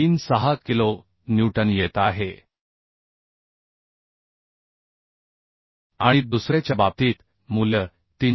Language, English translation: Marathi, 36 kilonewton and in case of second one value is coming 390